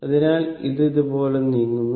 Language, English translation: Malayalam, So, it is moving like this